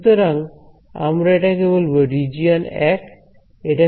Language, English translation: Bengali, So, we will we will call this region 1